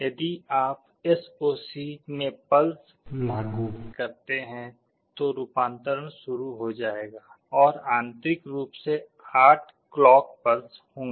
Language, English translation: Hindi, If you apply a pulse in SOC the conversion will start and internally there will be 8 clock pulses